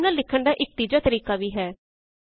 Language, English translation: Punjabi, There is a third way of writing a formula